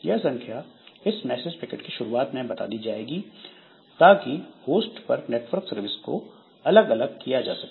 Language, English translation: Hindi, So, this a number is included at start of message packet to differentiate network services on a host